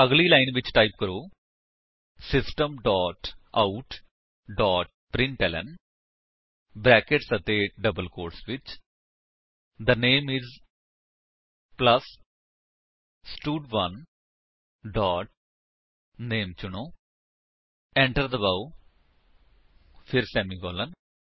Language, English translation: Punjabi, Next line, type: System dot out dot println within brackets and double quotes The name is plus stud1 dot select name press Enter then semicolon